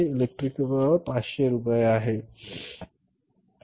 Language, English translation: Marathi, Electric power is 500